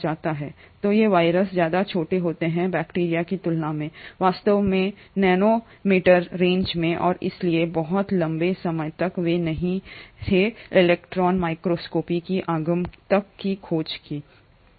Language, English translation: Hindi, So these viruses are much smaller than bacteria, in fact in the nano meter ranges and hence for a very long time they were not discovered till the advent of electron microscopy